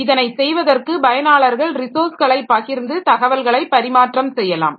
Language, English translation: Tamil, So, to go through it, so these users share resources and may exchange information